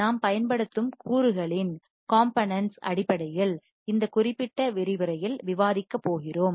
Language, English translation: Tamil, When we are going to discuss in this particular lecture based on the components that we use